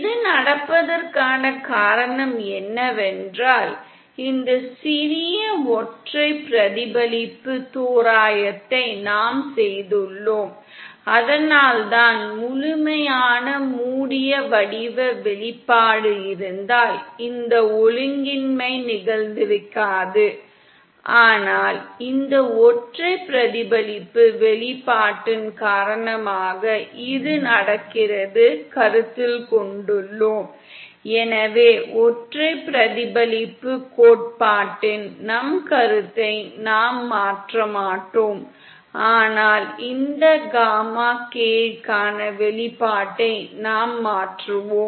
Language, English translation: Tamil, The reason this is happening is because this small single reflection approximation that we are have done & because of that if we had the complete closed form expression then this anomaly would not have happened, but this is happening because of this single reflection expression that we have considered, so we will not change our concept of single reflection theory, but we will modify the expression for this gamma k